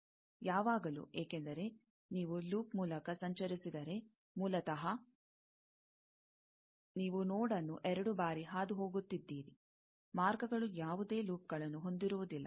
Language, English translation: Kannada, Always, because, if you traverse through a loop, basically, you are traversing the node twice, paths cannot contain any loops